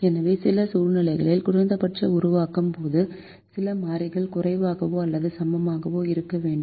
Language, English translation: Tamil, so in some situations at least, while formulating, we give provision for some variables to be less than or equal to